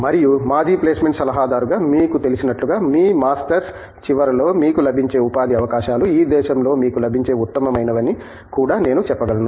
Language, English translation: Telugu, And, as the you know as the former placement adviser, I can also say that the employment opportunities that you would get at the end of your masters, probably of the best that you get in this country